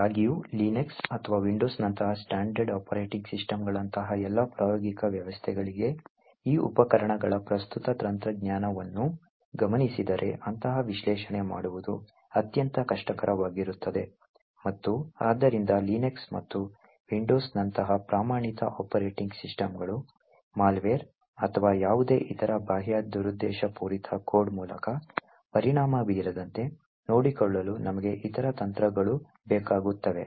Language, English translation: Kannada, However for all practical systems like standard operating systems like Linux or Windows such, doing such an analysis would be extremely difficult, given the current technology of these tools and therefore we would require other techniques to ensure that standard operating systems like Linux and Windows are not affected by malware or any other kind of external malicious code